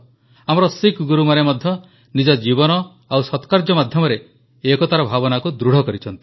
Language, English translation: Odia, Our Sikh Gurus too have enriched the spirit of unity through their lives and noble deeds